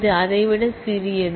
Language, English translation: Tamil, This is smaller than this